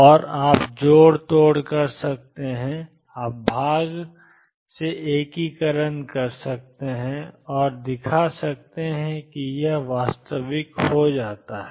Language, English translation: Hindi, And you can do the manipulations you can do integration by part and show that this comes out to be real